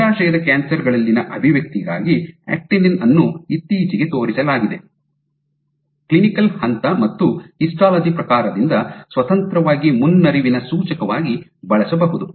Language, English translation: Kannada, What is also been recently shown is actinin for expression in ovarian cancers has been can be used as a prognostic indicator of independent of clinical stage and histology type